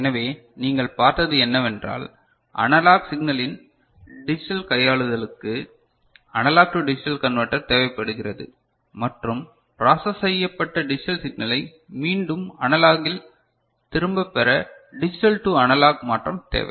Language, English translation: Tamil, So, what you have seen is that for digital manipulation of analog signal, analog to digital conversion is needed and to get back the processed digital signal digitally processed signal, which is after processing it in digital form and you want to get back it into analog from then digital to analog conversion is needed ok